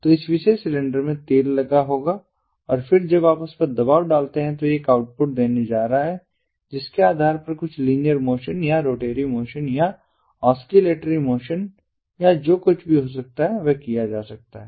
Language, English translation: Hindi, so in this particular cylinder, oil will be there and then when you put, when you apply pressure on it, it is going to give an output based on which there can be some linear motion or some oscillatory motion or rotatory motion or whatever that can be performed